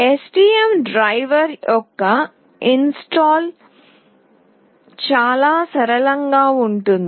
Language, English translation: Telugu, Installation of the STM driver is fairly straightforward